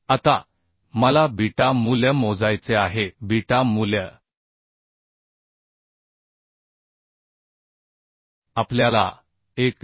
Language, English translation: Marathi, 25 plus beta value we have calculated as 1